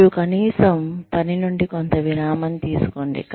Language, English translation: Telugu, And, at least take a break, from work